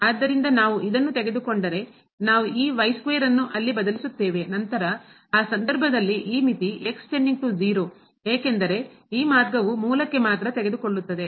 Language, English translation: Kannada, So, if we take this we substitute this square there, then in that case this limit goes to 0 because this path will take to the origin only